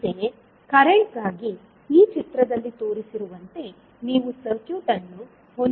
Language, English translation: Kannada, Similarly, for current, you will have the circuit as shown in the figure